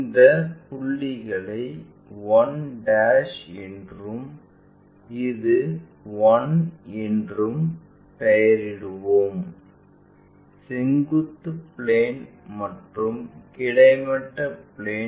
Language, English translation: Tamil, Let us name these points as a 1' and this one a 1; vertical plane and horizontal plane